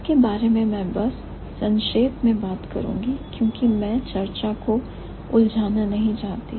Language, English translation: Hindi, So, I'll just briefly talk about because I don't want to complicate the discussions more